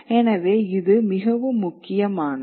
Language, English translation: Tamil, So, this is something that is very important